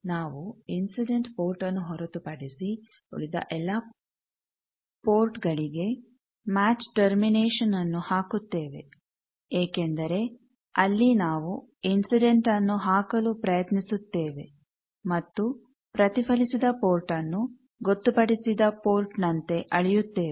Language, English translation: Kannada, So, this is the measurement thing we put match termination at all other ports except the incident port where we were trying to give incident and measure the reflected port as the designated port